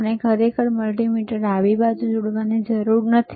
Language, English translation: Gujarati, We do not have to really connect a multimeter ;